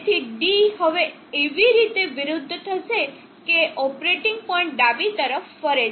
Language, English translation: Gujarati, So D will now reverse such that the operating point moves to the left